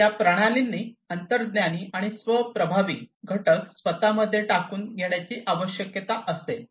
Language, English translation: Marathi, So, these systems will require intuitive and self effective elements to be adopted in them